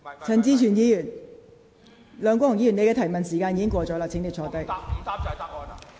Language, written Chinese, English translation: Cantonese, 梁國雄議員，你的提問時間已過，請坐下。, Mr LEUNG Kwok - hung your questioning time is up . Please sit down